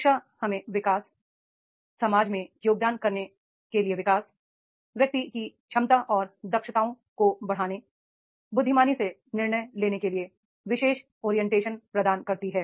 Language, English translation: Hindi, Education gives us the particular orientation to grow, to growth, to contribute to the society, to enhance the individual's ability and competencies to make the wise decisions